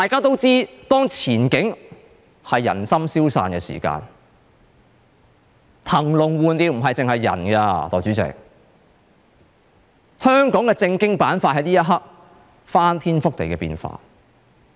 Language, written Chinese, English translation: Cantonese, 當前景令人心消散，代理主席，騰籠換鳥的不僅是人，香港的政經板塊在這一刻已有翻天覆地的變化。, Deputy President when the future is discouraging the new birds for the emptied cage shall include not only people but also the political and economic enterprises in Hong Kong and Hong Kong is now experiencing drastic changes both politically and economically